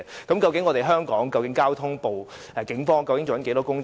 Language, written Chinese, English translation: Cantonese, 究竟香港警方的交通部做了多少工夫？, How much effort has been made by the Traffic Wing of the Hong Kong Police Force?